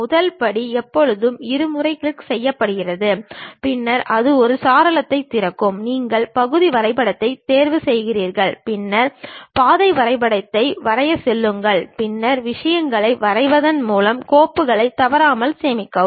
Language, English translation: Tamil, First step is always double clicking, then it opens a window, you pick part drawing, then go draw the path drawing, and then regularly save the file by drawing the things